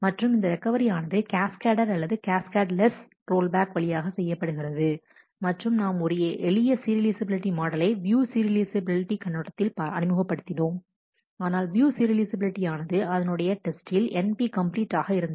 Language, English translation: Tamil, And this such a recovery can be through cascaded or cascadeless rollback and, we have also introduced a simpler model of serializability in terms of the view serializable, but testing for view serializability is np complete